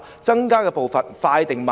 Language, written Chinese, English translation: Cantonese, 增加的步伐應該快還是慢呢？, Should it be increased slowly or quickly?